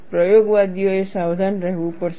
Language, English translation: Gujarati, Experimentalists have to be alert